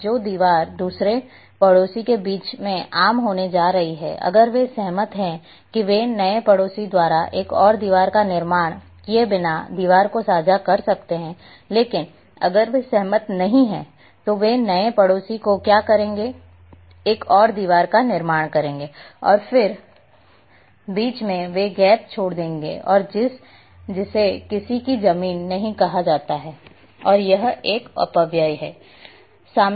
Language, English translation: Hindi, Now, the wall which is going to be common between another neighbour if they agrees they can share the wall without constructing another wall by the new neighbour, but if they do not agree then what they will do the new neighbour will construct another wall and then in between they will leave the gap and that is called no man’s land, and it is a wastage